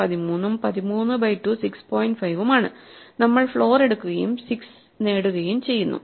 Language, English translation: Malayalam, 5 we take the floor and we get 6